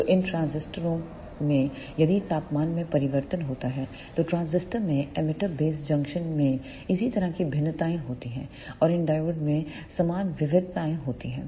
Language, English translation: Hindi, So, in these transistors if the temperature changes then similar variations occurs in the emitter base junction of transistors and the similar variations occurs in these diodes